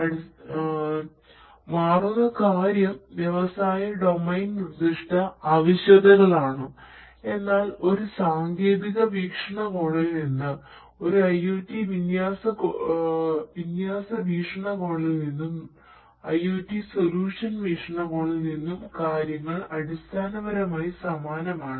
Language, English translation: Malayalam, The only thing that changes is basically the industry domain specific requirements, but from a technology point of view, from an IoT deployment point of view and IoT solution point of view things are essentially the same